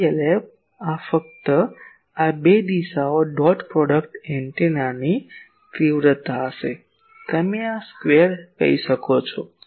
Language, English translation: Gujarati, PLF will be simply the magnitude of these 2 directions dot product antenna; you can say this square